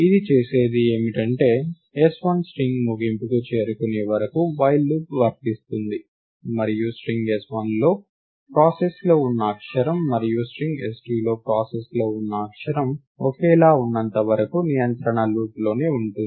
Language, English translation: Telugu, What it does is that there is a while loop which iterates till s1 reaches the end of string, and the control remains inside the loop as long as the character under process in the string s1, and the character under process in the string s2 are identical